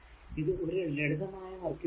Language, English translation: Malayalam, So, it is a pure short circuit